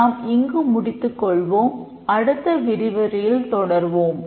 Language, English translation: Tamil, We will stop here and we will continue in the next lecture